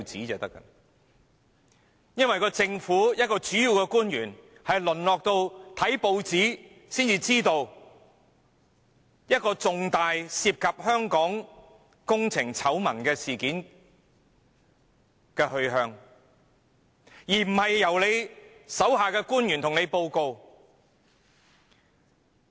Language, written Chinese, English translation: Cantonese, 一位主要政府官員竟然淪落至要看報紙才得知涉及香港工程醜聞的重大事件的來龍去脈，而不是由其屬下官員向他報告。, Instead of being briefed by his subordinates on the ins and outs of a major incident relating to a works scandal of Hong Kong a principal government official has degenerated to the extent of learning such information from the press